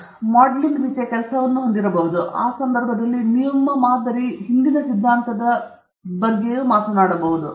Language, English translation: Kannada, You may have a modelling kind of work, so in which case you will talk something about the theory behind that model